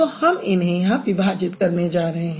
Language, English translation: Hindi, Now I will basically put it over here